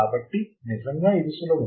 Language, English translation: Telugu, So, it is really simple